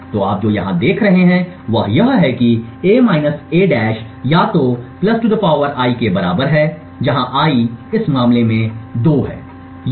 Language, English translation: Hindi, So, what you see here is that a – a~ is either equal to (+2 ^ I) where I is 2 in this case or ( 2 ^ I)